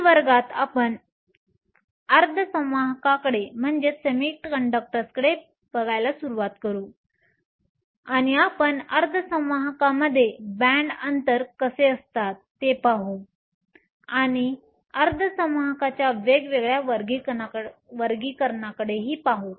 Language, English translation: Marathi, In next class, we will start to look at semiconductors and we will see how we have a band gap in semiconductors we will also look at different classifications of semiconductor